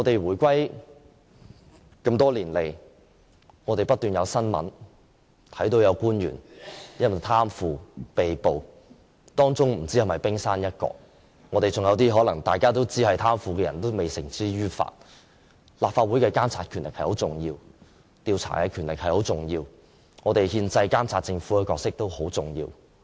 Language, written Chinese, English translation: Cantonese, 回歸多年來，不斷看到有官員因為貪腐被捕的新聞，不知是否冰山一角，還有一些大家都知道是貪腐的人未繩之於法，立法會的監察、調查的權力很重要，監察政府的憲制角色也很重要。, Since the reunification we have constantly seen news of government officials being arrested for corruption . Perhaps it is just the tip of the iceberg and many corrupt people are still not yet brought to justice . Hence the Legislative Councils power to monitor and investigate as well as its constitutional role to oversee the Government is extremely important